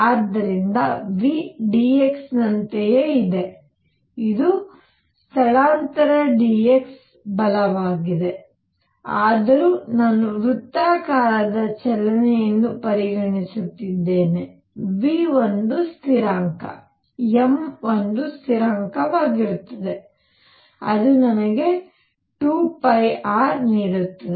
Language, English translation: Kannada, So v is in the same direction as dx this is the displacement dx right although I am take considering circular motion v is a constant m is a constant it will give me 2 pi r